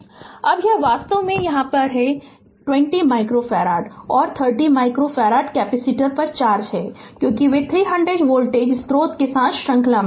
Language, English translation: Hindi, now this ah actually it will be is this is the charge on 20 micro farad and 30 micro farad capacitor because they are in series with 300 voltage source right